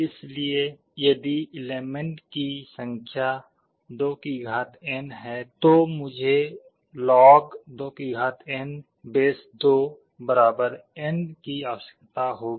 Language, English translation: Hindi, So, if there are 2n number of elements, I will be needing log2 2n = n